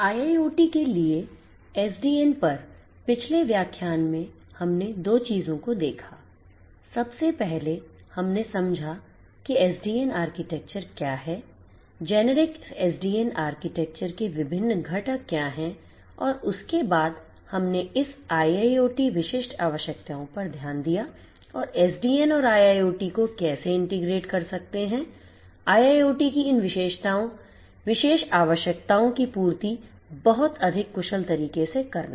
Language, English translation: Hindi, In the previous lecture on SDN for IIoT we looked at 2 things, first of all we understood what is the SDN architecture, what are the different components of a generic SDN architecture and there we thereafter we looked into this IIoT specific requirements and how SDN can integrate with a IIoT and catering to these particular requirements of IIoT in a much more efficient manner